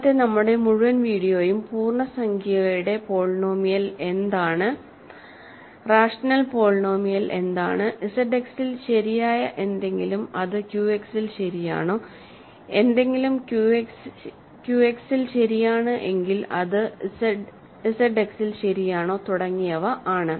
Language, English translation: Malayalam, So, our whole video today is about keeping track of what is integer polynomial, what is rational polynomial, whether something is true in Z X is true in Q X, if something is an Q X is it true in Z X and so on